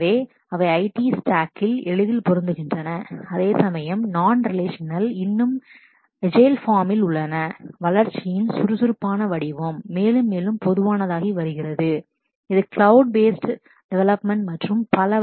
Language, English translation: Tamil, So, they easily fit into the IT stack whereas, non relational is still on the in the in the agile form of development that is becoming more and more common it fits into the cloud based development and so on